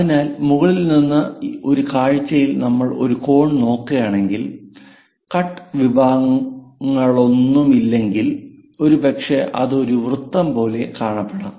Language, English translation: Malayalam, So, if we are looking at a view all the way from top; a cone without any cut sections perhaps it might looks like a circle